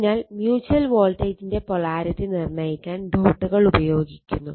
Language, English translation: Malayalam, So, so this way dots are used to determine the polarity of the mutual voltage using this dot